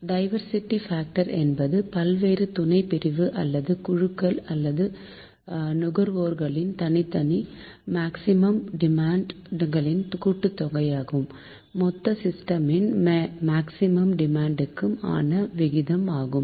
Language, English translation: Tamil, it is ratio of sum of individual maximum demands of the various subdivisions or groups or consumers to the maximum demand of the whole system